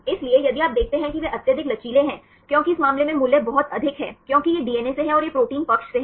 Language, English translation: Hindi, So, if you see they are highly flexible because the values are very high in this case, because this is from the DNA and this is from the protein side